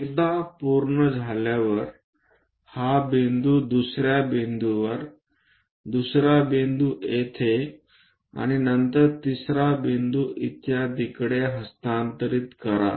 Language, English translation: Marathi, Once done transfer this point to all the way to second point, the second point here